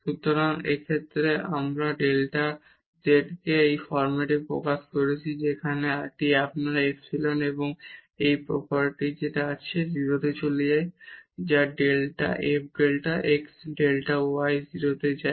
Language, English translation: Bengali, So, in this case we have expressed this delta z in this form where this is your epsilon and which has this property that this goes to 0, when f delta x delta y go to 0